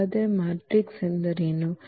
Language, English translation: Kannada, So, what is the matrix